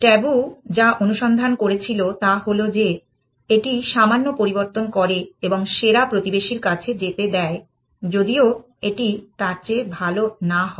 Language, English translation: Bengali, What tabu searched it was that it modify that little bit and allowed it to go to the best neighbor even if it was not better than that